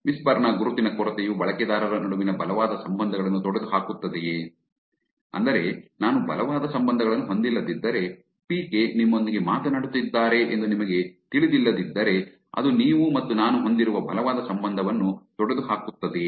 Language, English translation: Kannada, Does whisper's lack of identities eliminate strong ties between users, which is if I do not have strong ties which is if you do not know that PK is talking to you, does it eliminate the strong relationship that you and I would have